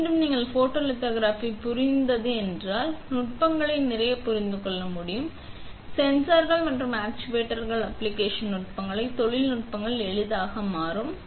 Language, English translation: Tamil, Again, let me reiterate that if you understand photolithography, you will be able to understand a lot of techniques, lot of sensors and actuators fabricating techniques will become easier